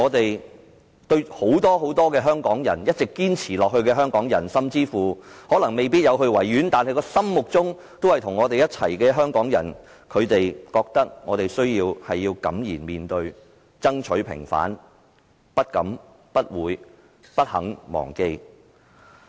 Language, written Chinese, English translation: Cantonese, 然而，對於我們和很多一直在堅持的香港人，甚至是那些沒有參與維園悼念活動但心卻與我們在一起的香港人，我們必須敢言面對，爭取平反，不敢、不會也不肯忘記。, However to us and many other Hong Kong people who have persevered unremittingly as well as those who have tied their hearts with us even though they have not participated in the commemorative activities in Victoria Park we must be outspoken and fight for the vindication of the 4 June incident . We dare not forget will not forget and refuse to forget